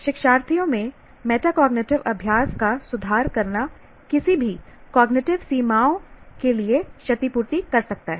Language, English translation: Hindi, Improving a learner's metacognitive practices may compensate for any cognitive limitations